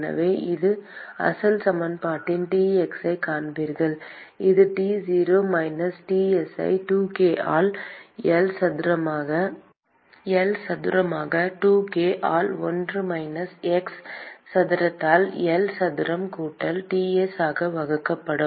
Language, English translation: Tamil, And so substituting that in the original equation, you will find Tx : that is equal to T 0 minus Ts divided by 2k by L square into L square by 2k into 1 minus x square by L square plus Ts